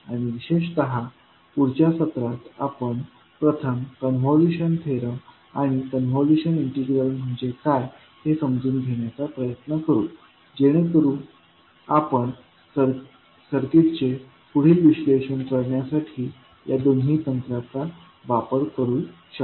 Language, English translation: Marathi, And particularly in next session, we will first try to understand, what do you mean by convolution theorem and convolution integral, so that we can apply both of the techniques to further analyze the circuits